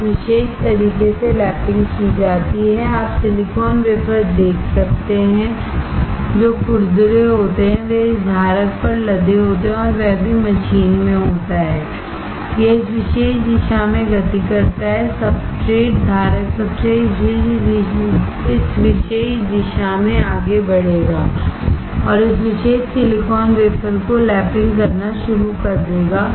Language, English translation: Hindi, Lapping is done in this particular fashion, you can see the silicon wafers which are rough, they are loaded onto this holder and that too machine is there, it moves in this particular direction, the substrate, the holder substrate will move in this particular direction, and will start lapping this particular silicon wafer